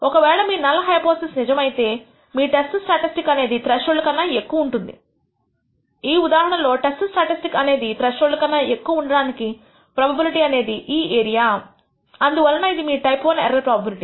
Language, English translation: Telugu, If the null hypothesis is true your test statistic can exceed this threshold in which case this is the area the probability that that the test statistic can exceed this threshold and therefore, this is your type I error probability